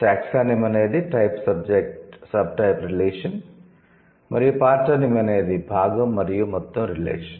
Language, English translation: Telugu, So, taxonomy would be type, subtype relation, okay, and partonomy would be part and whole relation